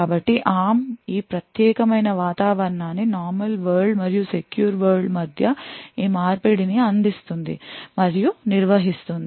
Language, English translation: Telugu, So, ARM provides this particular environment and provides and manages this switching between normal world and secure world